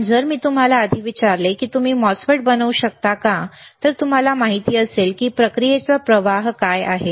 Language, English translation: Marathi, bBut if before if I just asked you before, that whether you can fabricate a MOSFET, dowould you know what is athe process flow